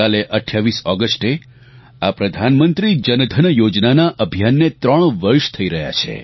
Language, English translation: Gujarati, Tomorrow on the 28th of August, the Pradhan Mantri Jan DhanYojna will complete three years